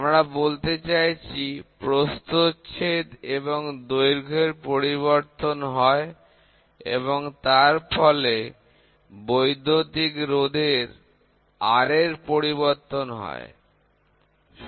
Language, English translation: Bengali, We are trying to say the cross section and the length change this resulting in a change in electrical resistance R, ok